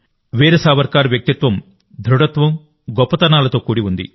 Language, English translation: Telugu, Veer Savarkar's personality comprised firmness and magnanimity